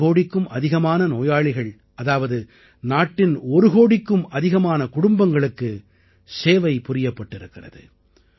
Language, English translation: Tamil, More than one crore patients implies that more than one crore families of our country have been served